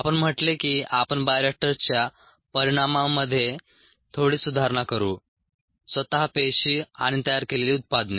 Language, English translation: Marathi, we said we will slightly improve the ah outcomes from the bioreactor cells themselves and the products that are made